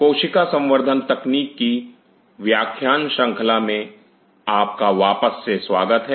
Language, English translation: Hindi, Welcome back to the lecture series in Cell Culture Technology